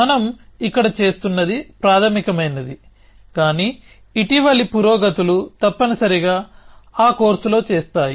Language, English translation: Telugu, So, what we are doing here is just a basic, but the more recent advancements will probably do in that course essentially